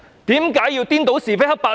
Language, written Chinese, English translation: Cantonese, 為何要顛倒是非黑白呢？, Why would they confuse right and wrong?